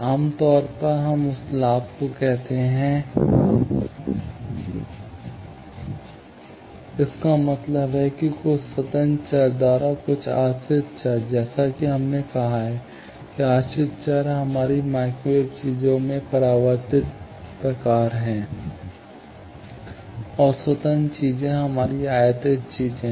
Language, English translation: Hindi, Generally, we call that gain; that means some dependent variable by some independent variable; as we have said that, dependent variables are the reflected type of thing in our microwave things; and, independent things are our incident things